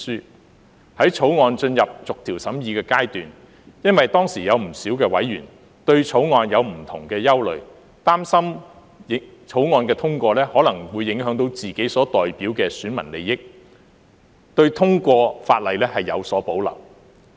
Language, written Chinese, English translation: Cantonese, 在《條例草案》進入逐條審議的階段時，當時有不少委員對《條例草案》有不同的憂慮，擔心《條例草案》通過後，可能會影響到自己所代表的選民利益，對通過法例有所保留。, When the Bill entered the clause - by - clause examination stage many members had different concerns about the Bill . Worried that the Bill if enacted might affect the interests of the electors they represented they had reservations about the passage of the legislation